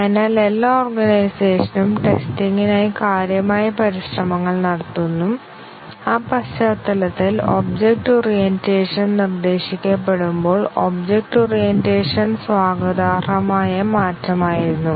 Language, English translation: Malayalam, So, every organization spends significant effort on testing and in that context, the object orientation was a welcome change when object orientation was proposed